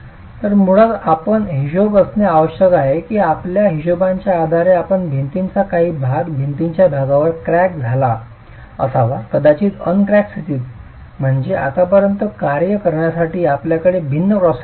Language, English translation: Marathi, So basically you need to account for the fact that part of your wall based on your calculations should have cracked and past part of the wall may be in the uncracked condition, which means you have now different cross sections to deal with as far as load equilibrium is concerned